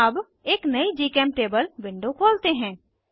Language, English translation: Hindi, Lets open a new GChemTable window